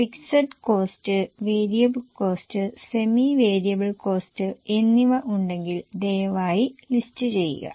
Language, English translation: Malayalam, So, please list down the fixed cost, variable cost and semi variable costs, if any